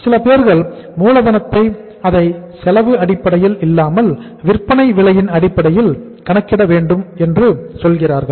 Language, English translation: Tamil, Some people say that in the working capital also we should calculate it on the selling price basis, not on the cost basis